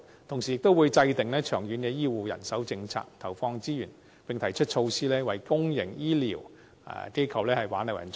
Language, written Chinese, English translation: Cantonese, 同時，亦會制訂長遠醫護人手政策，投放資源，並提出措施為公營醫療機構挽留人才。, Meanwhile she will also formulate long - term medical manpower policies inject resources and propose initiatives to retain talents for public medical institutions